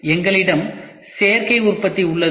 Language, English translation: Tamil, The first one is Additive Manufacturing